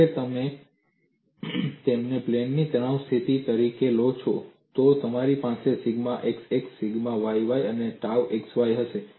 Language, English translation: Gujarati, Most of the times you would come out with the stress tensor and you state the stress tensor as sigma xx tau xy, tau yx sigma yy